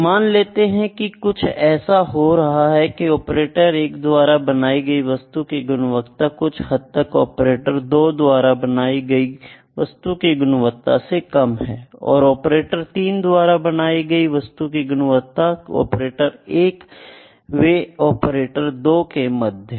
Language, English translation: Hindi, If I see that there is some trend like the quality that is operator 1 is giving is a little lesser than what the operator 2 is giving it and the operator 3 lies between operator 1 and operator 2 that can be ordered as well